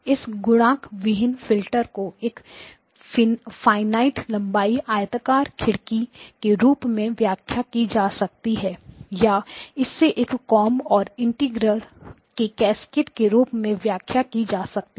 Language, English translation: Hindi, This multiplierless filter can be interpreted as a finite length rectangular window or it can be interpreted as a cascade of a comb and an integrator